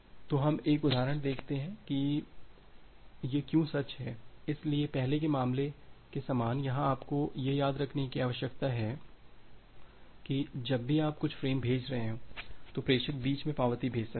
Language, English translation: Hindi, So, let us see an example that why this holds true so, similar to the earlier case here you need to remember that whenever you are sending certain frames, the sender can send acknowledgement in between